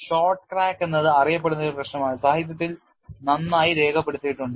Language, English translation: Malayalam, Short cracks is a well known problem well documented in the literature